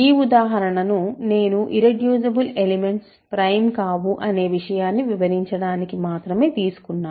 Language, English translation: Telugu, So, this example I did only to illustrate the fact that in general irreducible elements are not prime